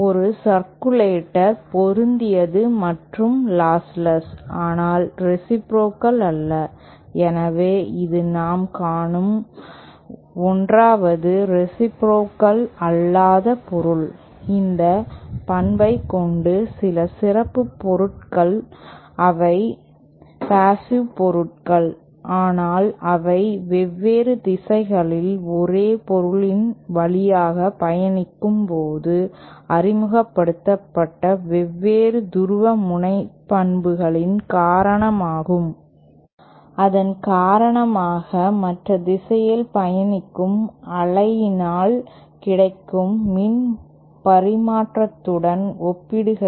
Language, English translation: Tamil, A circulator is matched and lossless but not reciprocal, so it is the 1st non reciprocal material that we are seeing and there are some special materials which have this property, which are passive materials but they kind of because of the different polarisations introduced when wave travelling in different directions through the same material, because of that, because of that when wave travels in one direction, we get a different power transfer as compared to the power transfer happening when the wave travels in the other direction